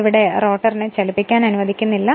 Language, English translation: Malayalam, So, rotor is not moving it is stationary